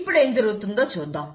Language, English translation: Telugu, Now let us look at what will happen